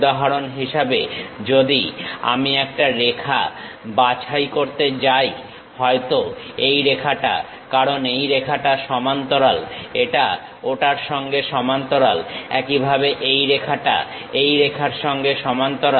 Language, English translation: Bengali, For example, if I am going to pick a line maybe this one; because this line is parallel to this one is parallel to that, similarly this line parallel to this line